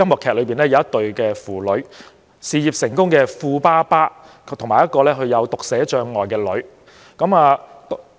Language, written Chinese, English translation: Cantonese, 劇中的一對父女是事業成功的富爸爸和他患有讀寫障礙的女兒。, The story is about a father and his daughter . The father is successful in his career and the daughter is a girl suffering from dyslexia